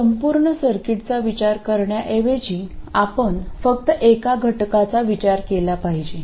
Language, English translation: Marathi, So instead of considering the whole circuit, what we can do is to just consider a single element